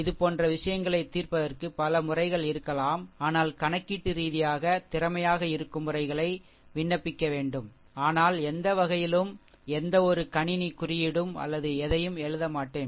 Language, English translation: Tamil, There may be many method for solving such this thing, but we have to apply which will be computationally efficient, but any way we will not do any we will not write any computer code or anything